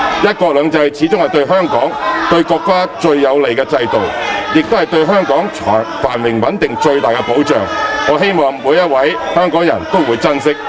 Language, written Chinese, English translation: Cantonese, "一國兩制"始終是對香港、對國家最有利的制度，也是對香港繁榮穩定的最大保障，我希望每一位香港人都會珍惜。, Having done so I strongly believe we can overcome all the challenges . After all one country two systems serves the best interest of Hong Kong and the country which offers the greatest safeguard to the prosperity and stability of Hong Kong . I hope each and every citizen of Hong Kong will cherish this